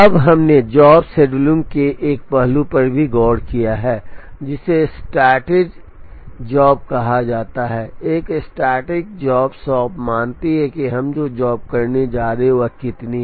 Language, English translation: Hindi, Now, we have also looked at one aspect of job shop scheduling which is called a static job shop, a static job shop assumes that the number of jobs that we are going to do is known